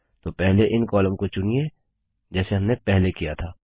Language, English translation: Hindi, So first select these columns as we did earlier